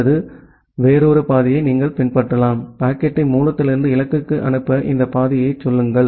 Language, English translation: Tamil, Or you can follow another path say this path to forward the packet from the source to the destination